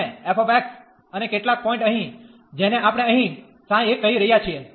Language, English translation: Gujarati, And f x and some point here psi, which we are calling here psi 1